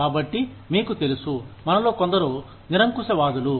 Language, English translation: Telugu, So, you know, some of us are absolutists